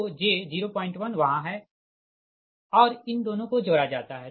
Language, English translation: Hindi, so j point one is there and this is: these two are added